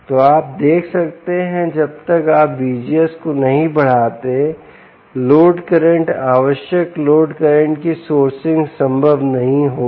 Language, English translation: Hindi, so you can see that unless you increase v g s, the load current, ah, a sourcing the required load current will not, will not be possible